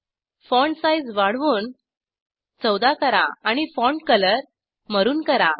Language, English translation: Marathi, I will increase font size to 14 and change the font color to maroon